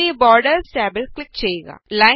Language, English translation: Malayalam, Now click on the Borders tab